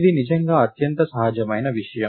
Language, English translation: Telugu, This is indeed the most natural thing